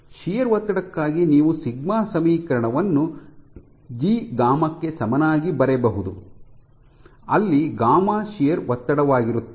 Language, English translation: Kannada, So, for sheer stress you can write down the equation sigma is equal to G gamma, where gamma is the shear strain